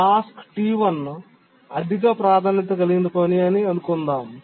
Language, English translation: Telugu, Let's assume that task T1 is a high priority task